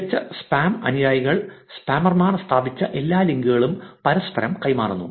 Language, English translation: Malayalam, Top spam followers tend to reciprocate all links established to them by spammers